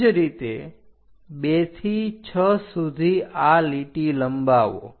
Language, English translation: Gujarati, Similarly, extend 2 to 6 all the way up along this line